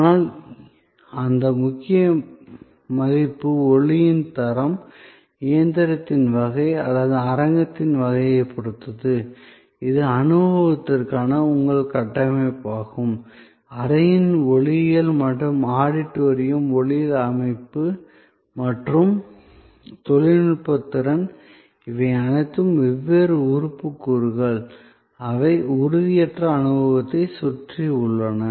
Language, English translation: Tamil, But, that core value depends on the quality of sound, the kind of machine or the kind of auditorium, which is your framework for the experience, the acoustics of the room or the auditorium, the sound system and the technical capability, all of these are different tangible elements, which are around the intangible experience